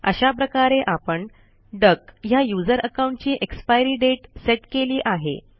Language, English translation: Marathi, Now you have set an expiry date for the user account duck